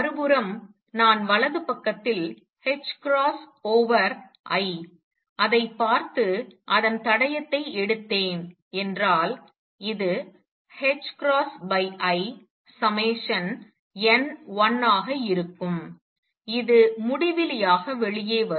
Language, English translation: Tamil, On the other hand, if I look at the right hand side h cross over i and take it trace which will be h cross over i summation n 1 will come out to be infinity